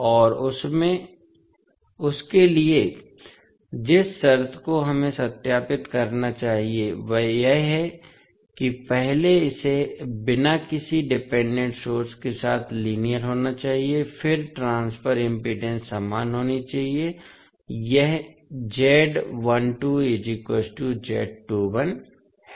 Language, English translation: Hindi, And for that, the condition which we have to verify is that first it has to be linear with no dependent source, then transfer impedances should be same; that is Z12 should be equal to Z21